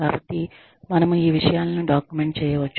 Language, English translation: Telugu, So, we make, i mean, these things can be documented